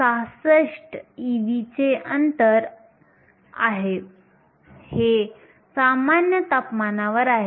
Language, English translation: Marathi, 66 e v, this is at room temperature